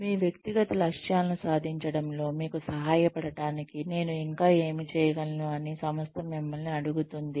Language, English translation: Telugu, The organization asks us, what more can I do, to help you achieve your personal goals